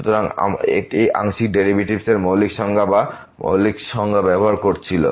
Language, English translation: Bengali, So, this was using the basic definition of or the fundamental definition of partial derivatives